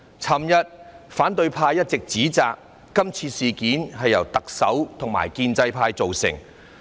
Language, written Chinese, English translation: Cantonese, 昨天反對派一直指摘，說今次事件是由特首和建制派造成。, Yesterday the opposition kept criticizing the Chief Executive and the pro - establishment camp claiming that this matter was of their own making